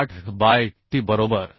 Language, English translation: Marathi, 88 by t right